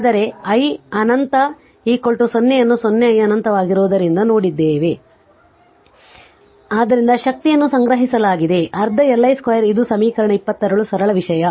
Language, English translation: Kannada, But just we have seen that i minus infinity is equal to 0 right since it is 0 i minus infinity; therefore, energy stored is equal to half Li square this is equation 26 simple thing right